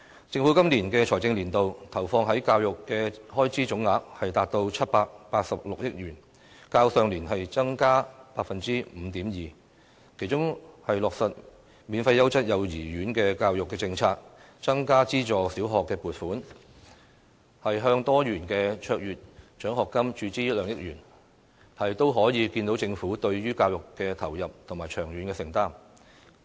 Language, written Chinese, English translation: Cantonese, 政府今個財政年度，投放在教育的開支總額，達到786億元，較上年度增加 5.2%， 其中落實免費優質幼稚園教育政策、增加資助小學撥款，向多元卓越獎學金注資2億元，可見政府對於教育的投入和長遠承擔。, In this fiscal year education spending totals 78.6 billion an increase of 5.2 % from last year . The initiatives of implementing the free quality kindergarten education policy providing additional subvention for aided primary schools and injecting 200 million into the Multi - faceted Excellence Scholarship reflect the Governments dedication and long - term commitment to education